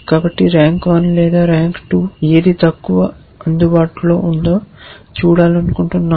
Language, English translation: Telugu, So, rank 1 we want to look at or rank 2 whichever is the lowest available